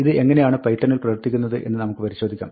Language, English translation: Malayalam, Let us see how this works in python